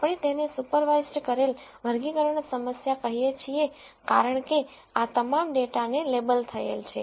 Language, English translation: Gujarati, We call this a supervised classification problem because all of this data is labeled